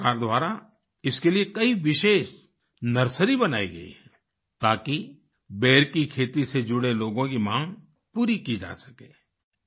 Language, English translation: Hindi, Many special nurseries have been started by the government for this purpose so that the demand of the people associated with the cultivation of Ber can be met